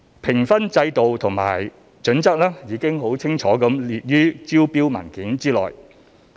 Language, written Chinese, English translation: Cantonese, 評分制度和準則已清楚列於招標文件內。, The marking scheme and assessment criteria were clearly stated in the tender documents